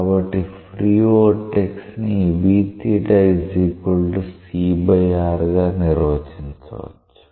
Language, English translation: Telugu, What is the free vortex